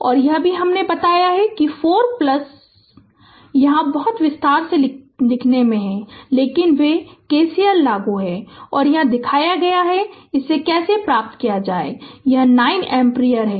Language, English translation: Hindi, And this one also I told you, 4 plus here much detail in written, but they are K C L we applied and showed you how to get it; so this is 9 ampere